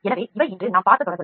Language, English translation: Tamil, So, these are the series which we saw today